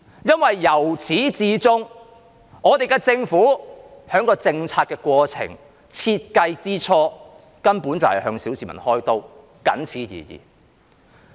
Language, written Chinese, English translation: Cantonese, 因為由始至終，香港政府在制訂政策的過程或在設計之初，根本便是向小市民開刀，僅此而已。, Because from the very beginning the Hong Kong Government has basically sought to fleece the public in the policy - making process or in the initial design stage and that is all